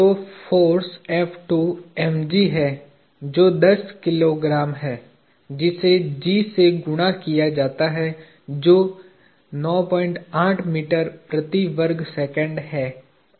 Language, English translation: Hindi, So, the force F2 is mg, which is ten kilograms, multiplied with g, which is nine point eight meters per seconds square